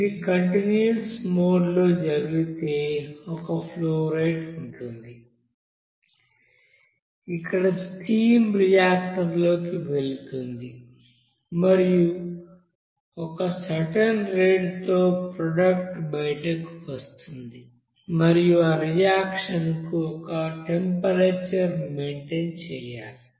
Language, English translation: Telugu, And if it is done at a continuous mode, then there will be a certain you know flow rate at which the stream will go into the reactor and at a certain rate the product will be coming out and at a temperature to be maintained for that reaction